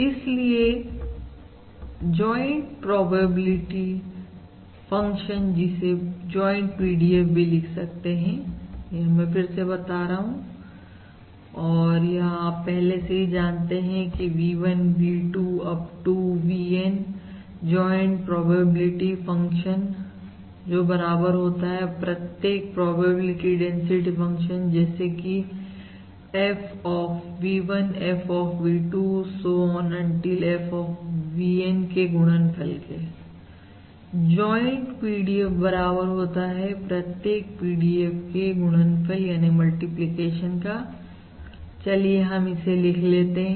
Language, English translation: Hindi, Therefore, the joint probability density function again just to follow, joint PDF, again just to repeated so as to be very clear, although many of you must be familiar, the joint PDF of V1, V2… Up to VN equals the product of the individual probability density functions: F of V1, F of V2, so on, until F of VN